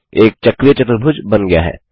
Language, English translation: Hindi, Let us construct a cyclic quadrilateral